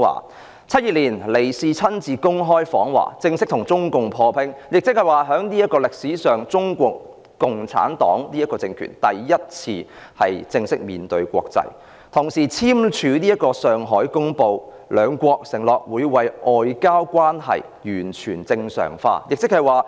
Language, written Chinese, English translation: Cantonese, 1972年，尼克遜親自公開訪華，正式與中共破冰，是歷史上中國共產黨政權第一次正式面對國際，同時簽署《上海公報》，兩國承諾為外交關係完全正常化。, In 1972 Richard NIXON paid an open visit to China and formally broke the ice with China . That was the first time in history that the regime of CPC formally entered the international world . In the same year China and the United States signed the Shanghai Communiqué and pledged to work towards the normalization of their relations